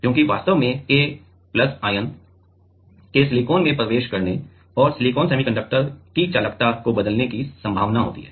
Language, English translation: Hindi, Because, there are possibility of K+ ion actually, penetrating into silicon and changing the conductivity of the silicon semiconductor